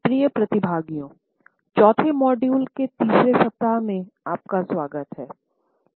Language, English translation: Hindi, Welcome dear participants, in the 4th module of the 3rd week